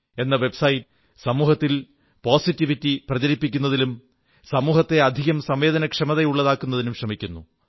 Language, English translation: Malayalam, com is doing great work in spreading positivity and infusing more sensitivity into society